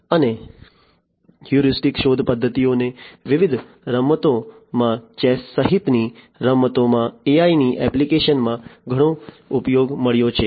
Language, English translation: Gujarati, And, heuristic search methods have found lot of use in the applications of AI in games in different games chess inclusive